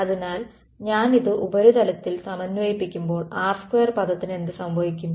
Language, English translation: Malayalam, So, when I integrate this over the surface what will happen to the r square term